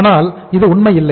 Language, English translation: Tamil, But it is not true